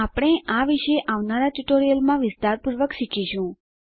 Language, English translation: Gujarati, We will learn about these in detail in the coming tutorials